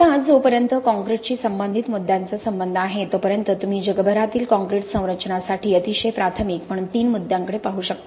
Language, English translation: Marathi, Now as far as the issues concerning concrete are concerned you can look at three issues as being very primary to the concrete structures all over the world